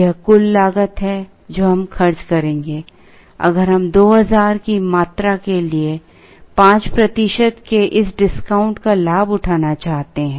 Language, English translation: Hindi, This is the total cost that we will incur, if we want to avail this portion of 5 percent for a quantity of 2000